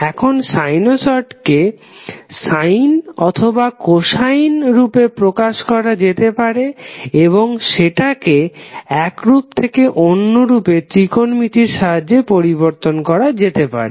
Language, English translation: Bengali, Now, sinusoid can be represented either in sine or cosine form and it can be transformed from one form to other from using technometric identities